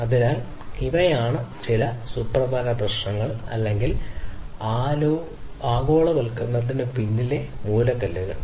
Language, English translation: Malayalam, So, these are some of the important issues or the cornerstones behind globalization